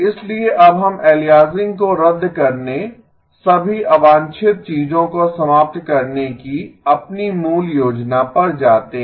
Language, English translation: Hindi, So now we go back to our original plan of canceling aliasing, removing all of the things that are unwanted